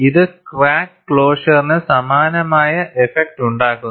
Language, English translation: Malayalam, It has a similar effect of crack closure